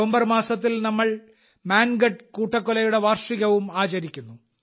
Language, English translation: Malayalam, In the month of November we solemnly observe the anniversary of the Mangadh massacre